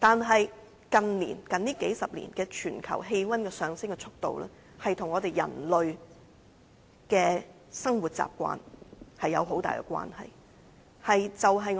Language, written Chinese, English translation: Cantonese, 可是，近數十年，全球氣溫上升的速度，卻與人類的生活習慣有莫大關係。, However in the past few decades the rise in global temperature was closely related to the habits of mankind